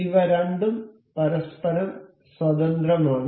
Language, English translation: Malayalam, So, both of these are independent of each other